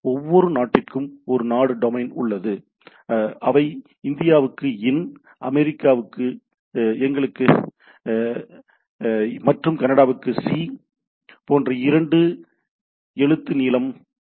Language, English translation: Tamil, There are rather for every country there is a country domain which are a two character length like ‘in’ for India, ‘us’ for US United States of America and ‘ca’ for Canada and so and so forth